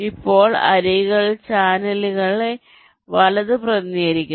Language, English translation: Malayalam, now, edge weight represents the capacity of the channel